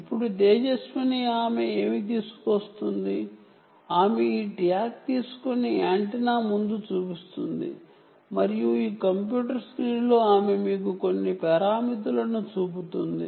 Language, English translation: Telugu, ah, she will bring, take this tag and show it in front of this antenna and she will show you a few parameters on this computer screen